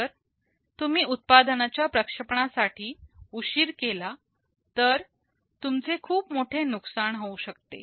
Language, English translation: Marathi, If you delay in the launch of a product, you may incur a big loss